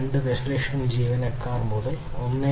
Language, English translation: Malayalam, 2 million employees to 1